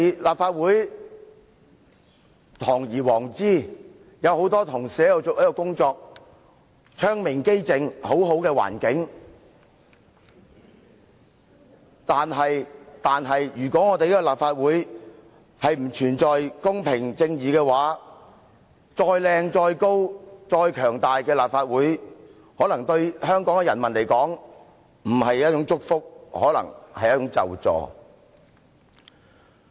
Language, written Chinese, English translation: Cantonese, 立法會堂而皇之，有很多同事在這裏工作，窗明几淨，環境很好，但如果立法會不存在公平、正義，再美、再高、再強大的立法會，可能對香港市民來說並不是祝福，更可能是咒詛。, This is such a nice clean place and the environment is so good . But if in the Legislative Council there is no fairness and justice no matter how much more beautiful or how much higher or how much more powerful the Legislative Council would be probably it would not be a blessing to the people of Hong Kong . Worse still it might even be a curse to them